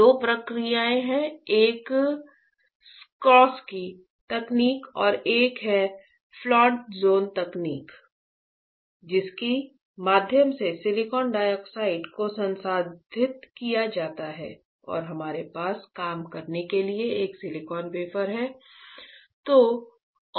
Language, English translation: Hindi, There are two processes; one is Czochralski technique and one is Float zone technique through which the silicon dioxide is processed and we have a silicon wafer to work on, alright